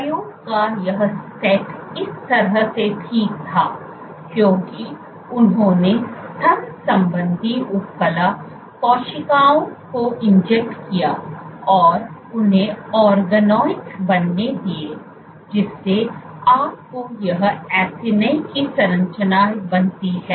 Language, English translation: Hindi, So, what the way this set of the experiment was ok, so they injected the mammary epithelial cells let them form organoids you have this acini structure formed